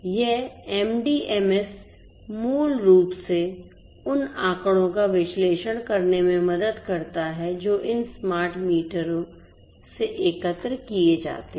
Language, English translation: Hindi, And the meter data management system which is the MDMS this MDMS basically helps in analyzing the data that are collected from these smart meters